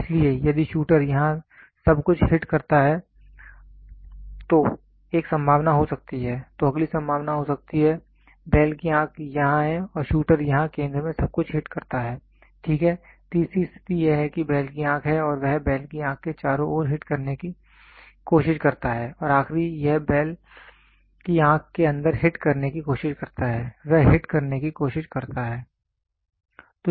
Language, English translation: Hindi, So, if the shooter hits everything here there can be a possibility, then the next possibility can be there will be, bulls eye is here and the shooter hits everything here exactly at the center, ok, the third the four third condition is this is a bulls eye and he hits at all this round the bulls eye he try to hit and the last one is going to be he tries to inside the bulls eye, he tries to hit